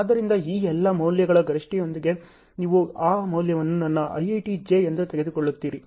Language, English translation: Kannada, So, with that maximum of all these values you will take that value as my EET j